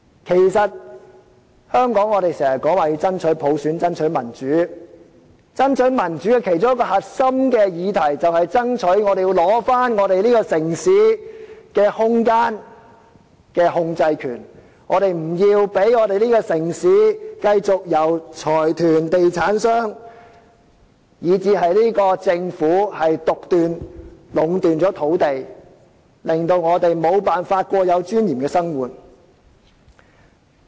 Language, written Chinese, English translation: Cantonese, 在香港，我們常說要爭取普選，爭取民主，而爭取民主的其中一個核心議題，就是要爭取這個城市的空間控制權，我們不要讓這個城市繼續由財團、地產商，以至政府獨斷、壟斷土地，致令我們無法過有尊嚴的生活。, In Hong Kong we often talk about striving for universal suffrage and democracy . Indeed one of the core issues in the fight for democracy is to strive for the right to control space in the city . We should not allow consortia real estate developers or even the Government to make arbitrary decisions and enjoy monopolization of land use in this city which are preventing us from leading a life with dignity